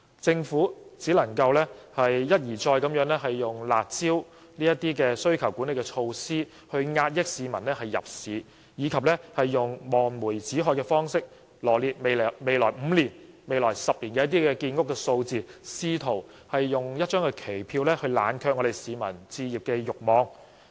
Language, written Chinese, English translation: Cantonese, 政府只能一而再地以"辣招"等需求管理措施遏抑市民入市，以及用望梅止渴的方式，羅列未來5年、10年的建屋數字，試圖以一張期票冷卻市民的置業慾望。, The Government can only repeatedly implement demand management measures such as curb measures to discourage home buying by the public . In order to give some distant hope to the people the Government has set out the number of flats to be constructed in the next 5 to 10 years attempting to cool down the publics home buying desire with a post - dated cheque